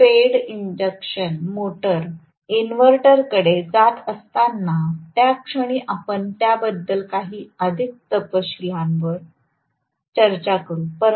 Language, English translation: Marathi, As we going to inverter fed induction motor, at that point we will talk about that in greater detail right